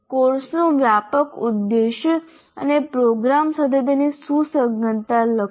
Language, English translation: Gujarati, Then one should write the broad aim of the course and its relevance to the program